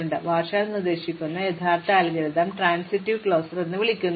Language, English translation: Malayalam, So, the original algorithm which are proposed by Warshall is for what is called transitive closure